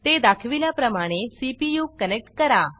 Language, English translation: Marathi, Connect it to the CPU, as shown